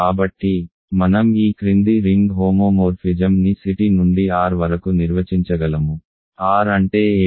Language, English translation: Telugu, So, I can define the following ring homomorphism from C t to R what is R